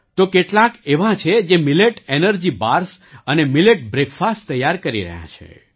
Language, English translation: Gujarati, There are some who are making Millet Energy Bars, and Millet Breakfasts